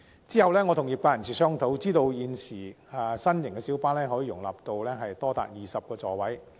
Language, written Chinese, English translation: Cantonese, 其後，我與業界人士商討後知道，新型的小巴可以容納多達20個座位。, Subsequently I learnt after discussing with members of the trade that new light bus models can accommodate as many as 20 seats